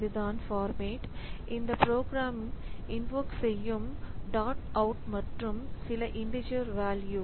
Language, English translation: Tamil, So, this is the format at which this program should be invoked, a dot out and then some integer value